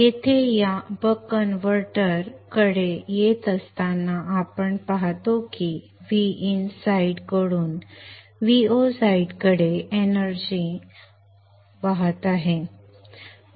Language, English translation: Marathi, Consider this buck converter here we see that the energy is flowing from the V In side to the V 0 side